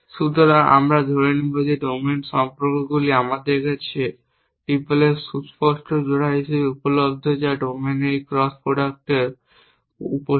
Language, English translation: Bengali, So, we will assume that the domain the relations are available to us as explicit pairs of tuples which is the subset of this cross product of the domains